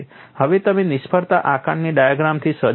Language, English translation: Gujarati, Now you are equipped with failure assessment diagram